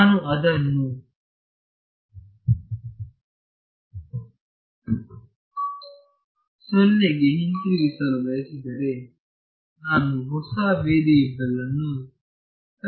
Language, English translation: Kannada, If I want to bring it back down to 0, I need to introduce a new variable